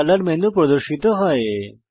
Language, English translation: Bengali, A color menu appears